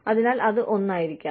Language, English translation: Malayalam, So, that could be one